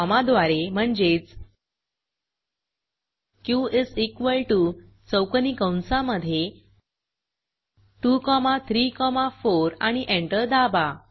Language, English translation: Marathi, or using commas as q is equal to open square bracket two comma three comma four close the square bracket and press enter